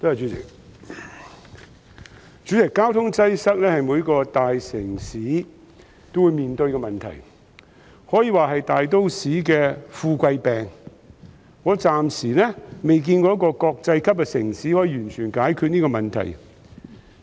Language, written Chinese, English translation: Cantonese, 代理主席，交通擠塞是每個大城市也會面對的問題，可以說是大都市的富貴病，我暫時未見過有一個國際級城市可以完全解決這問題。, Deputy President traffic congestion is a problem faced by every big city . It can be described as a common failing of affluent metropolises . So far I have not seen any international city which can completely resolve this problem